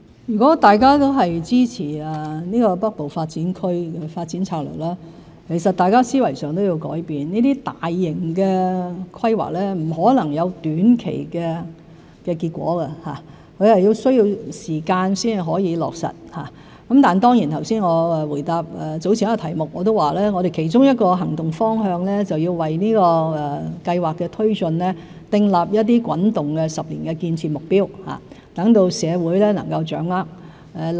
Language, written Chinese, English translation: Cantonese, 如果大家都支持《北部都會區發展策略》，大家在思維上亦需要改變，這些大型的規劃不可能短期內有結果，而是需時落實，但正如我剛才在回答早前一條問題時說過，我們其中一個行動方向是要為這項計劃的推進訂立一些滾動的10年建設目標，讓社會能夠掌握情況。, If we all support this Northern Metropolis Development Strategy we might also need to change our mindset . These large - scale developments are unlikely to be realized in the near future but will take time to complete . But as I said in response to a question raised earlier one of our directions of action is to set some rolling 10 - year construction targets for the project so that the community can understand the progress of its implementation